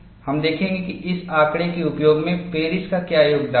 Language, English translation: Hindi, We would see, what is the contribution of Paris in utilizing this data